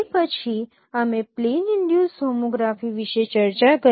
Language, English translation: Gujarati, So that is a plane induced homography